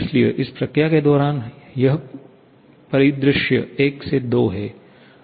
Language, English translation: Hindi, So, this is the scenario during this process 1 to 2